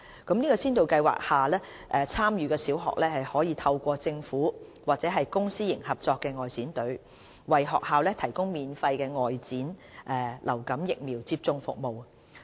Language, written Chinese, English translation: Cantonese, 在先導計劃下，參與的小學可透過政府或公私營合作外展隊，為學校提供免費的外展流感疫苗接種服務。, Under Pilot Programme the Government will provide free outreach influenza vaccination services for participating primary schools by either the Government Outreach Team or the Public - Private - Partnership Outreach Team